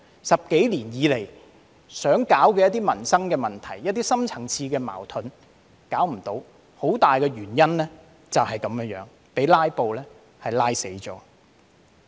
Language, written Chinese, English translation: Cantonese, 十多年以來想處理的一些民生問題和深層次矛盾均無法處理，很大原因就是被"拉布"拖垮。, Regarding some livelihood issues and deep - rooted conflicts that we had wanted to tackle for the past decade or so it was impossible for them to be dealt with and a main reason for it is that they were bogged down by filibustering